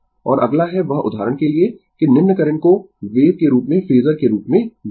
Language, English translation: Hindi, And next is that your for example, that add the following current as wave as phasor, right